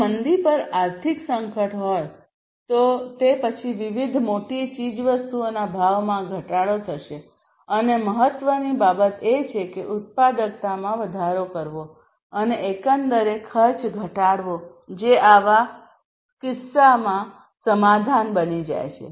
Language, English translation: Gujarati, So, if there is economic crisis on recession then there will be reduction in prices of different major commodities and what is important is to increase the productivity and reduce the overall cost that becomes the solution in such a case